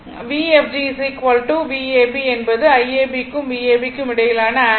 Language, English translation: Tamil, This is V fg is equal to V ab angle between I ab and V ab